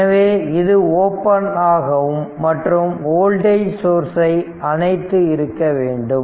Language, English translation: Tamil, So, it is open and voltage source is should be turned off